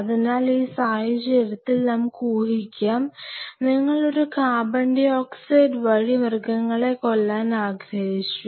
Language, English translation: Malayalam, So, let us assume in this situation then you wanted to do a CO2 sacrificing